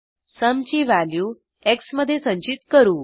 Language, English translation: Marathi, Then the value of sum is stored in x